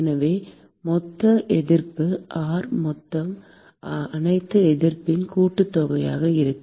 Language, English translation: Tamil, So, the total resistance, R total, will simply be sum of all the resistances